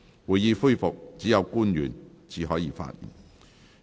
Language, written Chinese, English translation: Cantonese, 會議恢復時，只有官員才可發言。, Only public officers may speak when the Council resumes